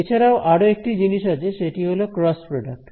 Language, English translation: Bengali, The other thing is cross product right